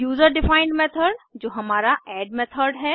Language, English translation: Hindi, User defined method that is our add method